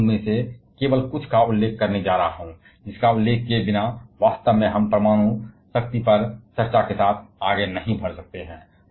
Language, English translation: Hindi, And I am going to mention only a very few of them; which without mentioning this actually we cannot proceed with any discussion on nuclear power